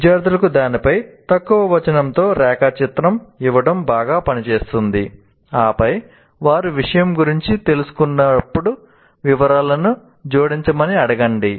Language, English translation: Telugu, And it works well to give students a diagram with a little text on it and then ask them to add details as they learn about the topic